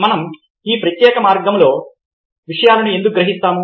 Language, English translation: Telugu, why is it that we perceive things in this particular way